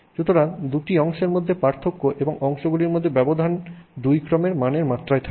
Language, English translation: Bengali, So, the difference between the two parts and the gap between the parts is only two orders of magnitude